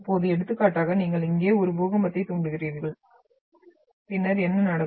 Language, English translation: Tamil, Now for example, you trigger an earthquake over here and then what will happen